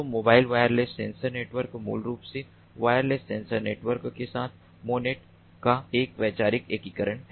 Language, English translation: Hindi, so mobile wireless sensor networks are basically a conceptual integration of manets with wireless sensor networks